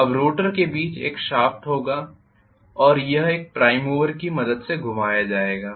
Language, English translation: Hindi, Now the rotor will have a shaft in the middle and this is going to be rotated with the help of a prime mover